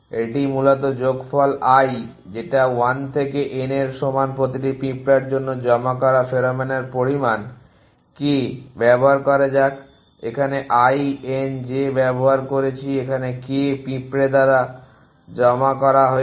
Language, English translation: Bengali, This is basically the sum fall i is equal to 1 to n for each of the ants the amount of pheromone deposited while in the k let use k here were using i n j here deposited by the k ant essentially